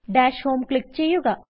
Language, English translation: Malayalam, Click on Dash Home